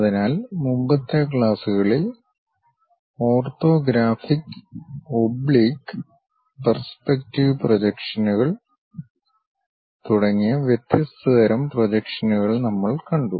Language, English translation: Malayalam, So, in the earlier classes, we have seen different kind of projections as orthographic oblique and perspective projections